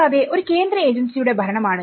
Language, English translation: Malayalam, And also, administrate by a central agency